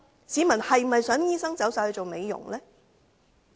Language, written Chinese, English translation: Cantonese, 市民是否想醫生全部轉投美容業呢？, Do members of the public wish all the medical practitioners to switch to the beauty industry?